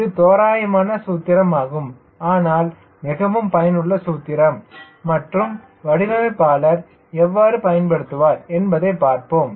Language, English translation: Tamil, this is an approximate expression, but very, very useful expre expression and see how the designer will exploit these understanding